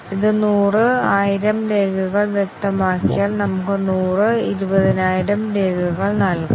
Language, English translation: Malayalam, If it is specified hundred, thousand records we might give hundred, twenty thousand records